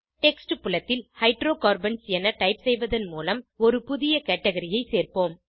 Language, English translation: Tamil, Lets add a new Category, by typing Hydrocarbons in the text field